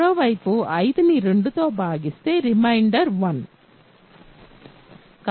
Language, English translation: Telugu, On the other hand divide 5 by 2 the reminder is 1